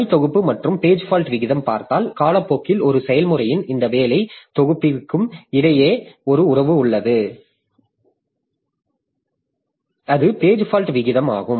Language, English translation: Tamil, So, if you see then you see over time, so there is a relationship between this working set of a process and its page fault rate